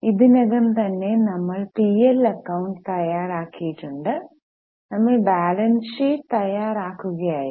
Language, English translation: Malayalam, We have already prepared the profit and loss account and now we were in the process of preparing the balance sheet